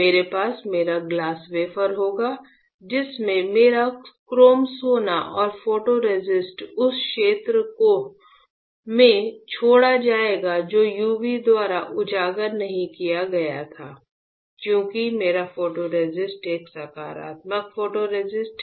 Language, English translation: Hindi, I will have my glass wafer with my chrome gold and photoresist left in the area which was not exposed by UV; since my photoresist is a positive photoresist